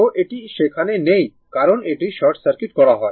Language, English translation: Bengali, So, this is not there because it is short circuited